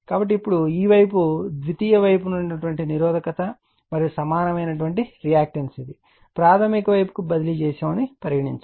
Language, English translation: Telugu, So, now this this side your what you call the secondary side a resistance and reactance the equivalent one transferred to the primary side, right